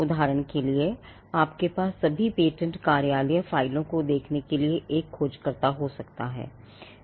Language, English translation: Hindi, For instance, you could have one searcher to look at all the patent office files